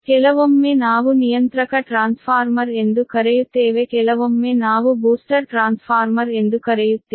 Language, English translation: Kannada, sometimes we call regulating transformer, sometimes we call booster transformer